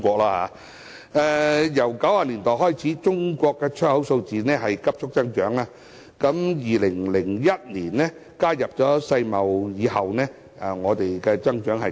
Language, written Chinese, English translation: Cantonese, 由1990年代開始，中國出口數字急速增長，在2001年加入世界貿易組織之後，增長更快。, Since the 1990s Chinas exports have surged rapidly and the pace has accelerated further after China joined the World Trade Organization in 2001